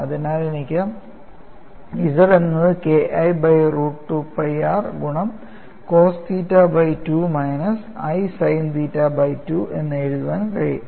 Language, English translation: Malayalam, So, I could, so, write this as K 1 by 2 into root of 2 pi r power 3 by 2 cos 3 theta by 2 minus i sin 3 theta by 2;